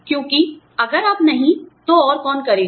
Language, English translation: Hindi, Because, if you do not, who else will